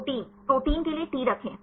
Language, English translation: Hindi, Protein, for protein say put T